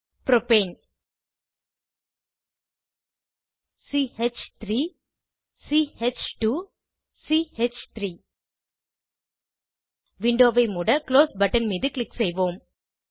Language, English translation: Tamil, Propane CH3 CH2 CH3 Lets click on Close button to close the window